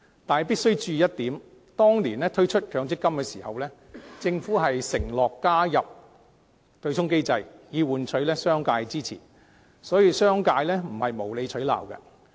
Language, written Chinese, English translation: Cantonese, 但是，必須注意一點，當年推出強積金時，政府承諾加入對沖機制，以換取商界支持，所以，商界的反對並非無理取鬧。, Nevertheless Members must note one point . When the MPF System was introduced back then the Government promised to include the offsetting mechanism in exchange for the support of the business sector . So it is not unjustified for the business sector to voice opposition now